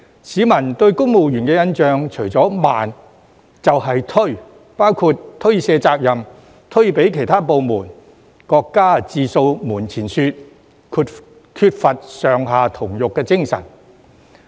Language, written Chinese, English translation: Cantonese, 市民對公務員的印象除了"慢"，便是"推"，包括推卸責任、推給其他部門、各家自掃門前雪，缺乏"上下同欲"的精神。, The publics impression of civil servants is that apart from being slow they are evasive in that for instance they pass the buck to other departments only care about their own business and lack the same spirit throughout all the ranks